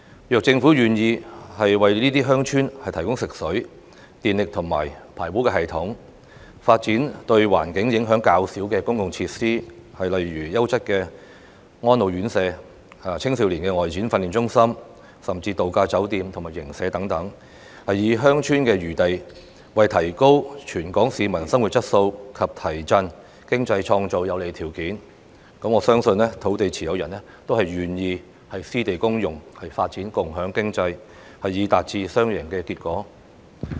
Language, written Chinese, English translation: Cantonese, 如果政府願意為這些鄉村提供食水、電力及排污系統，發展對環境影響較少的公共設施，例如優質的安老院舍、青少年外展訓練中心，或是度假酒店及營舍等，以鄉村的餘地為提高全港市民生活質素及提振經濟創造有利條件，我相信土地持有人都會願意私地公用，發展共享經濟，以達致雙贏結果。, If the Government is willing to construct treated water supply power supply and sewerage systems and to develop public facilities which will have less environmental impact for these villages such as quality homes for the elderly outdoor training centres for young people or resort hotels or camps so as to make use of the surplus land in villages to create favourable conditions for improving the quality of living of Hong Kong people and boosting the economy . I believe that landowners will be willing to offer their private lands for public use and the development of sharing economy with a view to achieving a win - win result